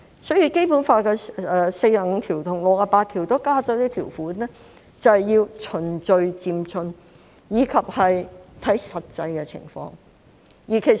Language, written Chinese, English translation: Cantonese, 所以，《基本法》第四十五條和第六十八條都加入一些條款，就是要循序漸進，以及要看實際情況。, Therefore both Article 45 and Article 68 of the Basic Law contain provisions on gradual and orderly progress and stipulate that the actual situation should be taken into account